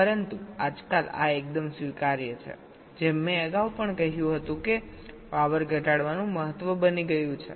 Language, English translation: Gujarati, now a days, as i mentioned earlier, also, reduction of power has become of paramount importance